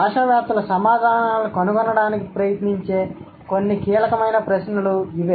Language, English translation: Telugu, So, these are some of the crucial questions that linguists try to find the answers for